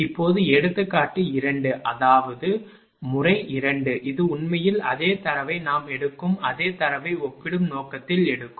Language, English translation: Tamil, Now, example 2 that is method 2 this is actually, same data we will take for the purpose of comparison same data we will take